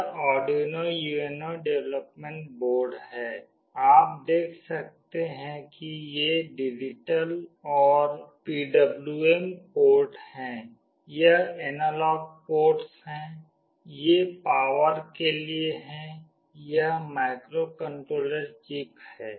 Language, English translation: Hindi, This is the Arduino UNO development board; you can see these are the digital and PWM ports, this is the analog ports, this is for the power, this is the microcontroller chip